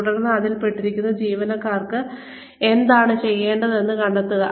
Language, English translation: Malayalam, And, then find out, what we will need the employees involved in that to do